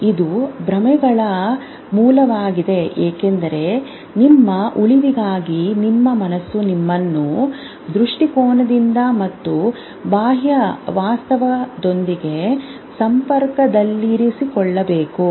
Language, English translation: Kannada, Because for survival, for survival, your mind has to keep you oriented and in contact with the external reality